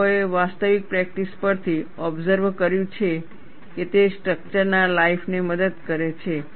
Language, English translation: Gujarati, People have observed from actual practice, that it has helped, the life of the structure